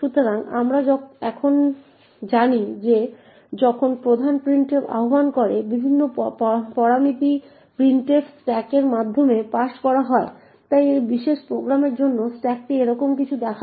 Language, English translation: Bengali, So, as we know by now that when main invokes printf, the various parameters to printf are passed via the stack, so the stack for this particular program would look something like this